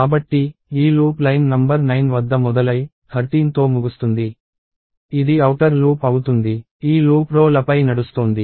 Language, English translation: Telugu, So, this loop starting at line number 9, ending at 13 is the outer loop; and this loop is iterating over the rows